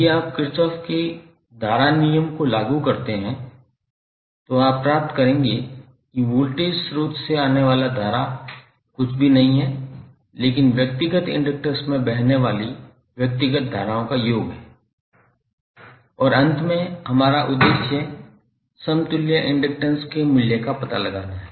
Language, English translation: Hindi, So if you if you apply Kirchhoff’s current law, you will get i that is the current coming from the voltage source is nothing but the summation of individual currents flowing in the individual inductors and finally the objective is to find out the value of equivalent inductance of the circuit